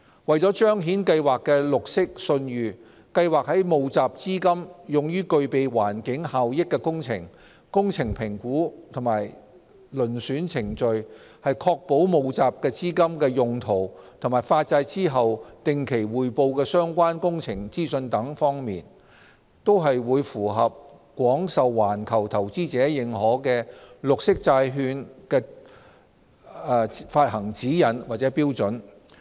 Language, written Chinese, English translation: Cantonese, 為彰顯計劃的綠色信譽，計劃在募集資金用於具備環境效益的工程、工程評估與遴選程序、確保募集資金的用途及發債後定期匯報相關工程資訊等方面，均會符合廣受環球投資者認可的綠色債券發行指引或標準。, To demonstrate the green credibility of the Programme the Programme will align with guidelinesstandards widely accepted by global investors for green bond issuance in terms of raising funds for projects with environmental benefits the process for evaluation and selection of such projects ensuring the proper use of the funds raised the periodic reporting of project information after issuance etc